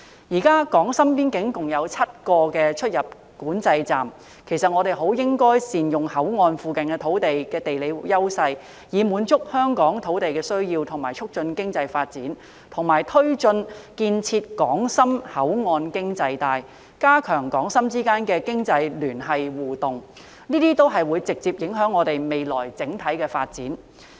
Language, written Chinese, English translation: Cantonese, 現時港深邊境共有7個出入境管制站，我們很應該善用口岸附近土地的地理優勢，以滿足香港的土地需要並促進經濟發展，以及推進建設港深口岸經濟帶，加強港深之間的經濟聯繫和互動，這些都會直接影響香港未來的整體發展。, Currently there are seven control points along the boundary between Hong Kong and Shenzhen . We should make good use of the geographical advantages of the land near the ports to meet Hong Kongs demands of land and promote economic development and drive the development of a Hong Kong - Shenzhen port economic belt to strengthen the economic connections and interactions between Hong Kong and Shenzhen . These efforts will directly affect the overall development of Hong Kong in the future